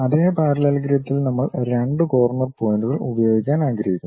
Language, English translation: Malayalam, In the same parallelogram we would like to use 2 corner points